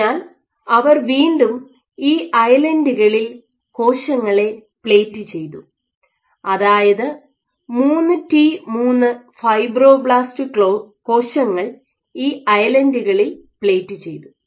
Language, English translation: Malayalam, So, this was a question, so what they did once again was the plated cells on these islands they plated 3T3 cells fibroblast on these islands